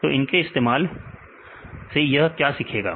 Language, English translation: Hindi, So, with this why it will learn